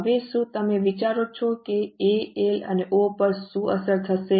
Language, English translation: Gujarati, Now can you think of what will be the impact on A, L and O